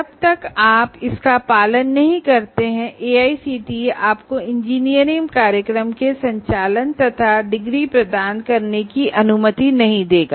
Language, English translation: Hindi, Unless you follow that, AACTE will not permit you to, permit you to conduct and award or qualify your students for the award of engineering degrees